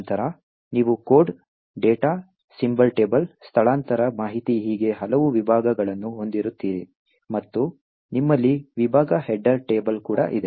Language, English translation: Kannada, Then you have various sections which contain the code, the data, the symbol table, relocation information and so on and you also have a section header table